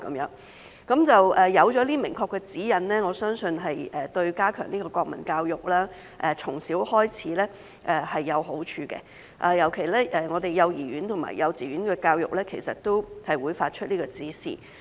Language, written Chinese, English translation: Cantonese, 有了明確指引後，我相信對於從小開始加強國民教育是有好處的，特別是對幼兒園和幼稚園的教育其實也會發出這個指示。, I believe that clear guidelines while in place are conducive to strengthening national education from a young age especially because such directions will be given for nursery education and kindergarten education as well